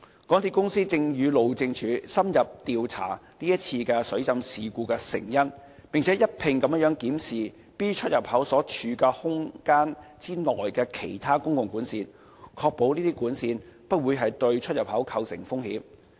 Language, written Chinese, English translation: Cantonese, 港鐵公司正與路政署深入調查這次水浸事故的成因，並一併檢視 B 出入口所處空間內其他公共管線，確保這些管線不會對出入口構成風險。, MTRCL has been investigating this flooding incident in depth with the Highways Department and reviewing the other utilities within the void that is accommodating the EntranceExit B in order to ensure these utilities would not impose risks to EntranceExit B